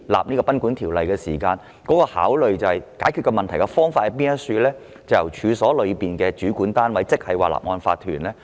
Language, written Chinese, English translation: Cantonese, 根據《條例》的立法原意，解決問題的王道方法，是由處所的主管單位執行大廈公契。, According to the legislative intent of the Ordinance the legitimate approach to the problem is the execution of its DMC by the body in charge of the premises